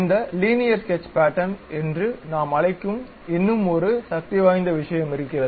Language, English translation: Tamil, There is one more powerful thing which we call this Linear Sketch Pattern